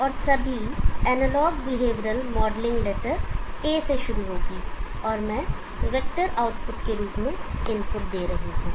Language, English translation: Hindi, And all analog behavioural modelling starts with letter A okay, and I am giving the inputs as a vector output